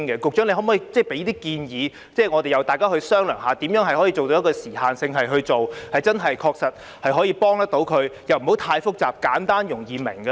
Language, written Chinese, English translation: Cantonese, 局長可否提出建議，大家再商量如何以有時限的性質去做，真正確切地幫助市民，而又不會太複雜，使其簡單和容易明白呢？, Could the Secretary make some suggestions on which we can discuss how the measure can be implemented on a time - limited basis to truly help members of the public while making it not too complicated but simple and easy to understand?